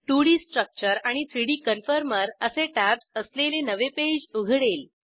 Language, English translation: Marathi, A new web page with 2D Structure and 3D Conformer tabs, is seen